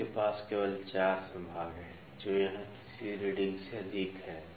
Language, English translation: Hindi, They have only 4 divisions it is exceeding the third reading here